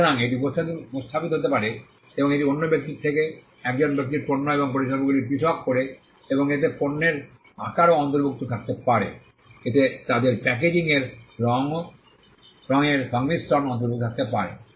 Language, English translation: Bengali, So, it can be represented, and it distinguishes goods and services of one person from those of the other, and may include shape of goods, it may include their packaging and combination of colours